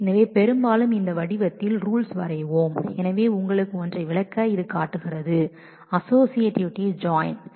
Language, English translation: Tamil, So, often we will draw the rules in this form so, just to explain you one so, this shows the associativity of join